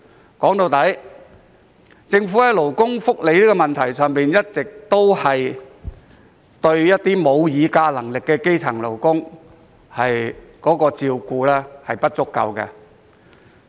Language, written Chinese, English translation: Cantonese, 歸根究底，在勞工福利方面，政府一直以來對沒有議價能力的基層勞工照顧不足。, In the final analysis the Government has not provided sufficient care for grass - roots workers who have no bargaining power in respect of labour welfare